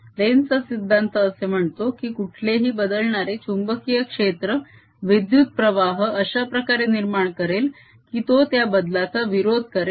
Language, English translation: Marathi, lenz's law says that any changing magnetic field produces currents in such a manner that it opposes that change